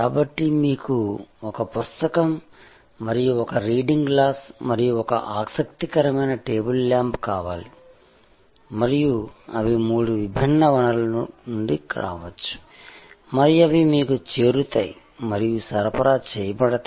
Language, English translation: Telugu, So, you may want one book and one reading glass and one interesting table lamp and they can come from three different sources and can get accumulated and delivered to you